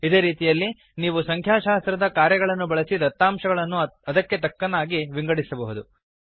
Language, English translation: Kannada, Similarly, you can use other statistical functions on data and analyze them accordingly